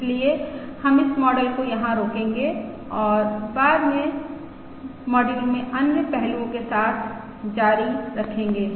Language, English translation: Hindi, So we will stop this model here and continue with other aspects in subsequent modules